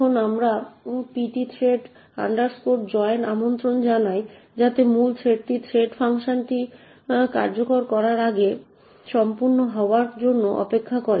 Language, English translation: Bengali, Now we invoke the pthread joint in order to ensure that the main thread waits for the thread func to complete before continuing its execution